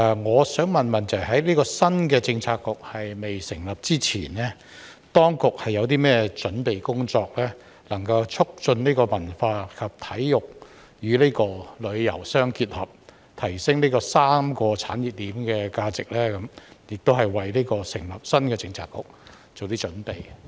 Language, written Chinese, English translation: Cantonese, 我想問：在這個新的政策局未成立之前，當局有甚麼準備工作，能夠促進文化及體育與旅遊相結合，提升這3個產業鏈的價值，亦為成立新的政策局做些準備？, I would like to ask Before the establishment of this new Policy Bureau what preparatory work has been done by the authorities to promote the integration of culture sports and tourism so as to enhance the value of these three industry chains and prepare for the establishment of the new Policy Bureau?